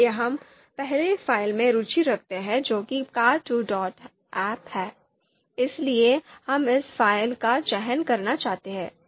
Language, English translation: Hindi, So we are interested in the you know first file that is there car two dot ahp, so we would like to select this file